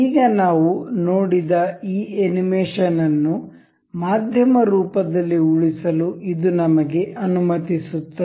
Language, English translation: Kannada, This allows us to save this animation that we just saw in a form of a media